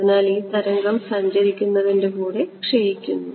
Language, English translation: Malayalam, So, this wave also decay as a travels